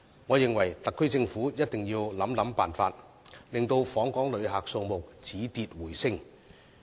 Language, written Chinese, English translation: Cantonese, 我認為，特區政府一定要想辦法，令訪港旅客數字止跌回升。, In my opinion the SAR Government must find a solution to reverse the decline in visitor arrivals to Hong Kong